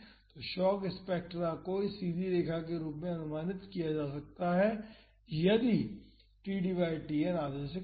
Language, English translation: Hindi, So, the shock spectra can be approximated as this straight line if td by Tn is less than half